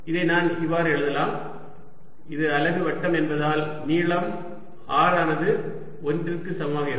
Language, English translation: Tamil, i can also write this as, since this is the unit circle, very simply, as just length is, r equals one